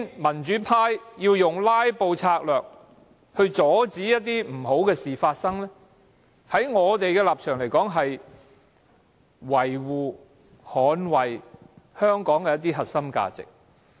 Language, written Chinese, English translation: Cantonese, 民主派用"拉布"策略阻止不好的事情發生，在我們的立場而言，是維護、捍衞香港的核心價值。, From our point of view the pro - democracy camp filibusters to stop something bad from happening which is an act of safeguarding and defending the core values of Hong Kong